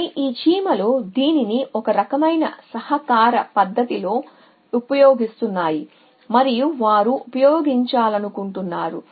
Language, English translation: Telugu, But these ants are using it know kind of cooperative fashion and they want to used